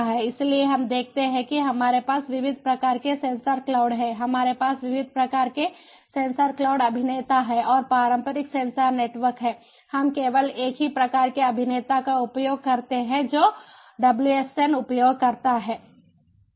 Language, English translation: Hindi, we have divert types, diverse diverse types of sensor cloud actors and in the traditional sensor network, we use to have only a single type of actor, which is the wsn user